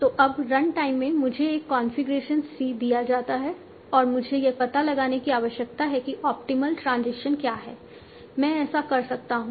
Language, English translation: Hindi, So now at runtime I am given a configuration C and I need to find out what is the optimal transition